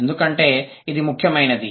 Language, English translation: Telugu, This is important